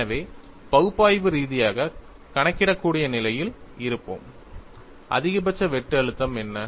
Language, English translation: Tamil, So, we would be in a position to analytically calculate, what is the maximum shear stress